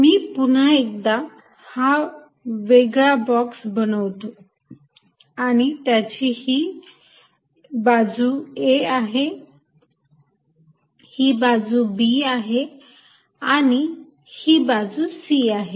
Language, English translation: Marathi, Let me make this box separately once more, this is the box for this side being a, this side being b and this side being c